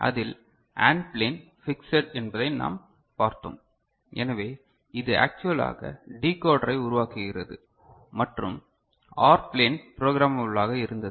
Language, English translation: Tamil, So, in that we had seen that the AND plane was fixed, so it actually forms the decoder and the OR plane was programmable